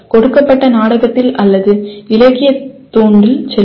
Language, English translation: Tamil, Let us say in a given drama or in a literature piece